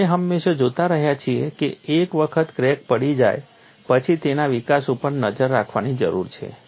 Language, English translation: Gujarati, And we have always been looking at once a crack has been detected; it is growth needs to be monitored